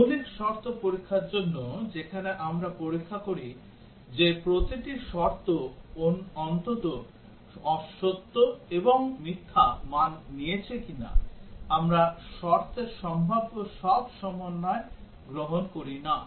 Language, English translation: Bengali, For basic condition testing, where we test whether each condition at least has taken true and false values, we do not take all possible combinations of conditions